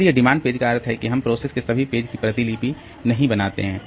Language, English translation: Hindi, So, demand page means that we don't copy the all the pages of the program